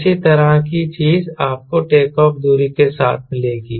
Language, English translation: Hindi, similar thing you will find with takeoff distance